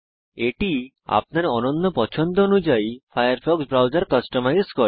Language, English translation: Bengali, It customizes the Firefox browser to your unique taste